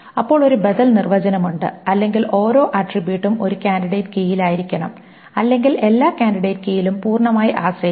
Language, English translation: Malayalam, Then there is an alternative definition or every attribute, every attribute must be in a candidate key or depend fully on every candidate key